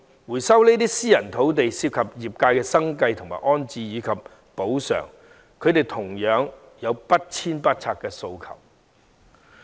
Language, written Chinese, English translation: Cantonese, 回收這些私人土地涉及業界的生計、安置及補償問題，而他們同樣有不遷不拆的訴求。, Resumption of such private land involves the livelihood and rehousing of and compensation for those engaged in the industries and they also demand no relocation and no demolition